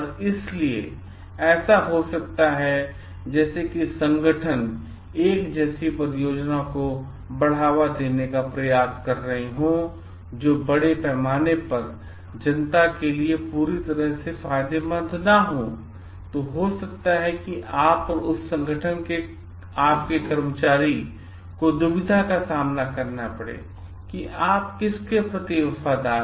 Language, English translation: Hindi, So, it may so happen like if the organizations is trying to promote a project which may not be totally beneficial to the public at large, then you may and your employee of that organization you may face a dilemma of I should be loyal to whom